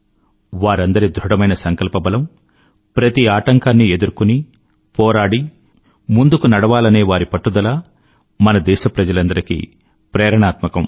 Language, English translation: Telugu, Their grit & determination; their resolve to overcome all odds in the path of success is indeed inspiring for all our countrymen